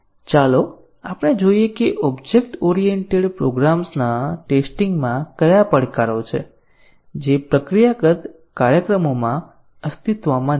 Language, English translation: Gujarati, Let us look at what are the challenges of testing object oriented programs which did not exist in procedural programs